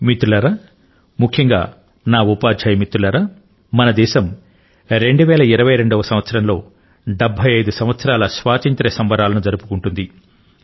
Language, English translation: Telugu, Friends, especially my teacher friends, our country will celebrate the festival of the 75th year of independence in the year 2022